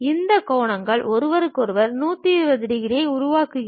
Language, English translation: Tamil, We lift it up in such a way that, these angles makes 120 degrees with each other